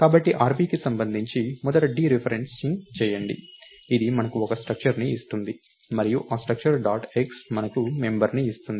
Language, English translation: Telugu, So, therefore the way to read that is first do dereferencing with respect to rp, that gives us a structure and that structure dot x gives us the ah